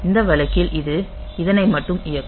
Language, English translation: Tamil, So, in this case it will execute this 1 only